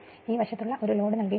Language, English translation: Malayalam, This one your what you call a this side a load is given